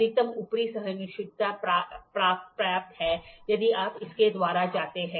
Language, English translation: Hindi, Maximum upper tolerance obtainable is if you go by this